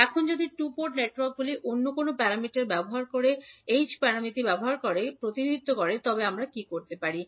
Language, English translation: Bengali, Now, if the two port networks are represented using any other parameters say H parameter, what we can do